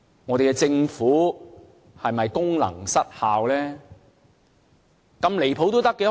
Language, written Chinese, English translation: Cantonese, 我們的政府是否功能失效呢？, Is our Government losing its functions?